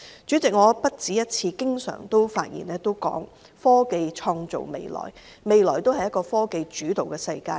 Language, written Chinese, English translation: Cantonese, 主席，我不止一次表示，科技創造未來，未來是科技主導的世界。, President I have on more than one occasion suggested that technology creates the future and the future will be significantly shaped by technology